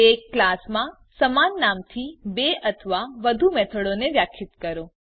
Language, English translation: Gujarati, Define two or more methods with same name within a class